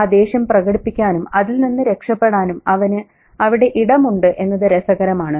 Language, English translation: Malayalam, And he has that space to express that anger and get away with it